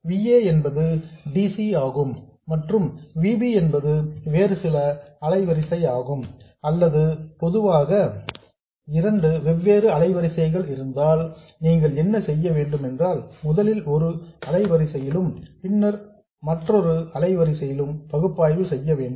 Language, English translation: Tamil, Now, what do you do if VA is DC and VB is some other frequency or in general there of two different frequencies, you have to first do the analysis at one frequency and then at another frequency